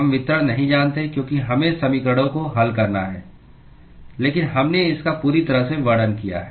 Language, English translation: Hindi, We do not know the distribution because we have to solve the equations, but we have described it completely